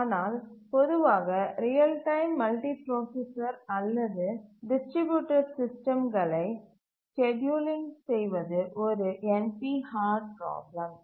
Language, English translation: Tamil, But the general real time scheduling of multiprocessor distributed systems is a NP hard problem